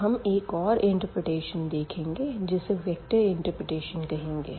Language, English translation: Hindi, So, now coming to the next interpretation which we call the vectors interpretation